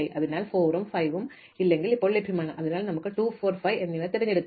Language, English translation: Malayalam, So, 4 and 5 are now available, so we can choose any of 2, 4 and 5 it does not matter